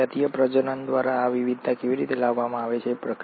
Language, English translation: Gujarati, Now how are these variations through sexual reproduction brought about